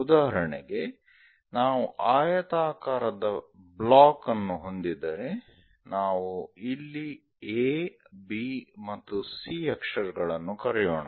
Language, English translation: Kannada, For example, if we have a rectangular block, let us call letter A, side B and C